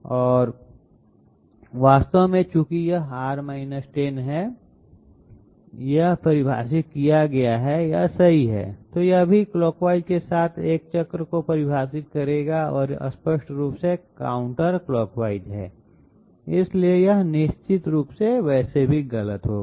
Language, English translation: Hindi, And in fact, since it is R 10 this would have defined had it been correct, then also it would have defined a a a circle with clockwise sense and this is obviously counterclockwise, so this is definitely it would have been wrong anyway